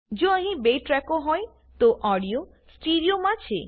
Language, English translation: Gujarati, If there are 2 tracks, then the audio is in STEREO